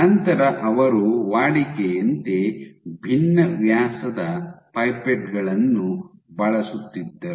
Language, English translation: Kannada, So, they then did these routinely using pipettes of variant diameters